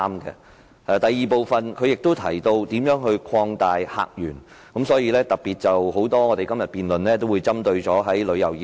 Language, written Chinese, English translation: Cantonese, 他在第二部分亦提到如何擴大客源，所以今天很多議員也特別談到旅遊業。, In the second half of his motion he mentioned how to open up new visitor sources; today many Members therefore have particularly spoken on the tourism industry